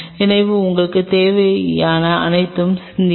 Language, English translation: Tamil, So, think over it what all you needed